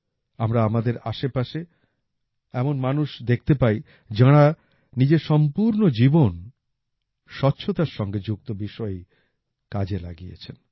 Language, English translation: Bengali, We also see people around us who have devoted their entire lives to issues related to cleanliness